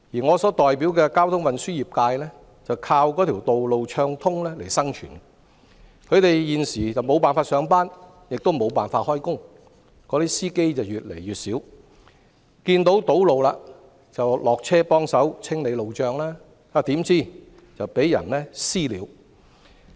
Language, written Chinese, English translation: Cantonese, 我所代表的交通運輸業界靠道路暢通生存，他們現時無法上班亦無法工作，司機越來越少，遇上堵路下車幫忙清理路障，豈料卻遭"私了"。, The transport sector represented by me counts on smooth road traffic to make a living . Now they can neither go to work nor do any work . There are fewer and fewer drivers